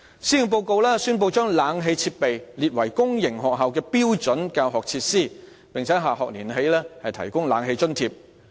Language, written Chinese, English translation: Cantonese, 施政報告宣布將空調設備列為公營學校的標準教學設施，並由下學年起提供空調設備津貼。, The Policy Address announced that air - conditioning facilities will be provided as standard teaching facilities in public sector schools and an Air - conditioning Grant will be provided starting from the next school year